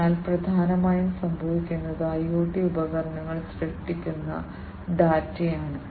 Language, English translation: Malayalam, So, essentially what is happening is the data that is generated by the IoT devices